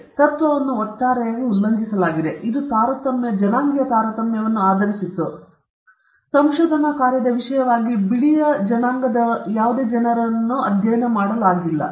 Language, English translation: Kannada, Here there is a gross violation of the principle; it was based on discrimination; no whites were studied as subjects in this research work